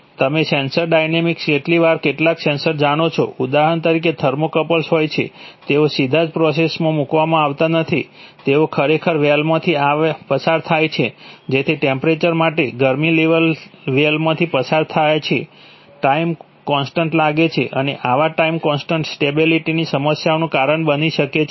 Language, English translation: Gujarati, Sensor dynamics, you know, sometimes some sensors for example thermocouples they are, they are not directly put into the process, they actually put through a well, so that well to, for the temperature to, for the heat to flow through the well it takes time constants and such time constant can cause stability problems, right